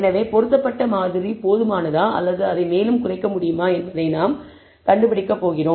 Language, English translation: Tamil, So, we are going to find whether the fitted model is adequate or it can be reduced further